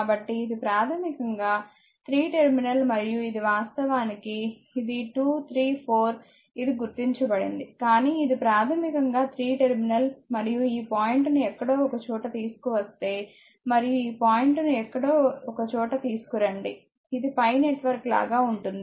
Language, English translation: Telugu, So, it is basically 3 terminal and one this is actually this your this is 2 3 4 this will mark, but this is basically a 3 terminal and if you just if you just bring this point to somewhere here and bring this point to somewhere here, this look like a your pi network